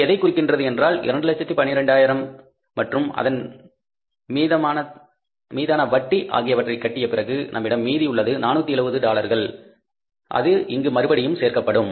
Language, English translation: Tamil, So, it means after paying $212,000 and the interest on that we are left with $470 or $70 that will be added back here